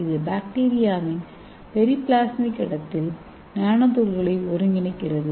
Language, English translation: Tamil, And it is synthesizing the nanoparticles in the periplasmic space of bacteria